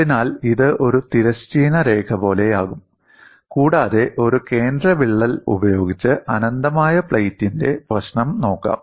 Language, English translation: Malayalam, So, this will be like a horizontal line and let us look at the problem of infinite plate with a central crack